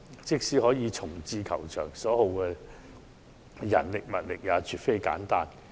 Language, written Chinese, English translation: Cantonese, 即使可以重置球場，所耗的人力物力也絕不簡單。, Even if a relocation is possible the manpower and material resources involved would by no means be trivial